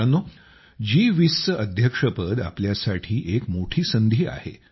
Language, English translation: Marathi, Friends, the Presidency of G20 has arrived as a big opportunity for us